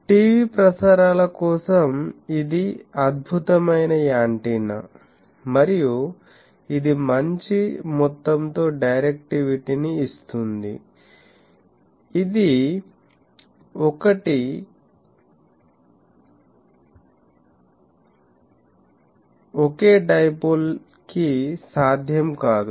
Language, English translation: Telugu, For TV transmission, this is an excellent a antenna and it gives good amount of directivity, which was not possible for a single dipole